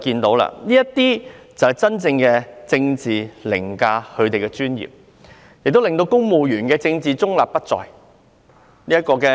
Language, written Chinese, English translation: Cantonese, 這是真正的政治凌駕專業，令公務員政治中立不再。, Indeed politics has overridden professionalism and civil servants are no longer politically neutral